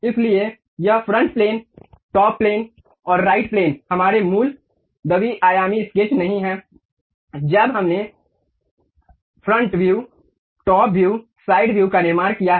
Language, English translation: Hindi, So, this front plane, top plane, and right plane are not our original two dimensional sketches when we have constructed the front view, top view, side view